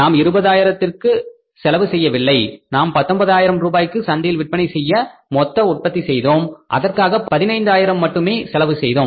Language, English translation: Tamil, We have spent less, we have not spent 20,000 rupees, we have been able to manufacture the total production which we sold in the market for 19,000 rupees just for 15,000 rupees